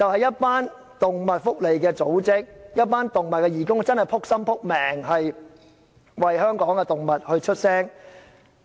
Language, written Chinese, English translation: Cantonese, 是動物福利組織和義工，他們確實勞心勞力，為香港的動物發聲。, Animal welfare organizations and volunteers . They are honestly committed to speaking up for animals in Hong Kong